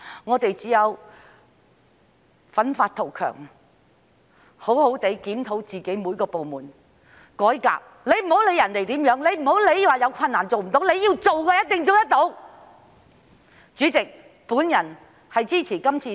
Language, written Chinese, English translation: Cantonese, 我們只要發奮圖強，好好檢討各部門並進行改革，別管別人怎樣做，也不要因為有困難便說做不到，要做的話一定做得到的。, We only have to work hard thoroughly review various departments and introduce reform . We should not care about what others do . Do not say we cannot do it because of difficulties